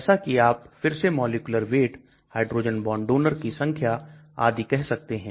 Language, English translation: Hindi, As you can say again molecular weight, hydrogen bond donor count